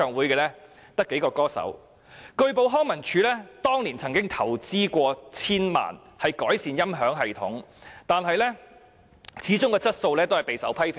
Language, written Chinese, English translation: Cantonese, 據報康樂及文化事務署當年曾投資千萬元改善大球場的音響系統，但其質素始終備受批評。, It was reported that the Leisure and Cultural Services Department invested tens of millions of dollars back then on improving the audio system in the Hong Kong Stadium but its quality was still open to a lot of criticisms